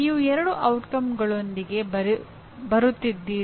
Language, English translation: Kannada, You are coming with two statements